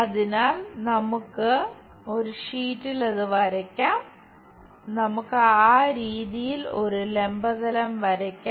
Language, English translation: Malayalam, So, let us draw it on the sheet something maybe, let us draw vertical plane in that way